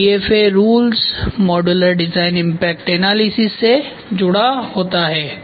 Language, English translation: Hindi, So, it is this one is attached DFA rules are attached to modular design impact analysis